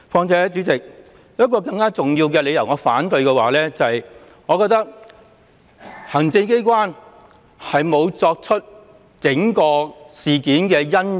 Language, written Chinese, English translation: Cantonese, 主席，我有一個更重要的反對理由，就是行政機關沒有檢討整個事件的因由。, President I have a more important reason to raise opposition and that is the Executive Authorities have not reviewed the cause for the whole incident